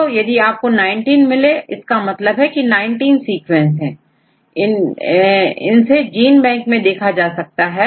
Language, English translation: Hindi, So, now if you get all the 19 correct these are the 19 sequences you get from GenBank